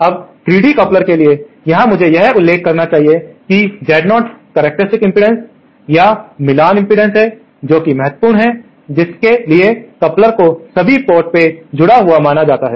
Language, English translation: Hindi, Now, for a 3 dB couplers, here I should mention that Z0 is the characteristic impedance or the matching impedance, that is the impotence to which the coupler is assumed to be connected all the ports